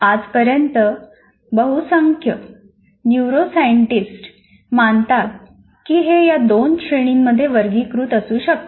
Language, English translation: Marathi, This is how majority of the neuroscientists, as of today, they believe it can be classified into two categories